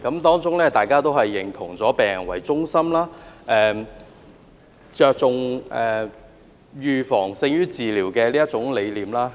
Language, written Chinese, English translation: Cantonese, 大家都認同以病人為中心，着重預防勝於治療的理念。, We all agree on the concept of focusing on patients needs and prioritizing prevention over cure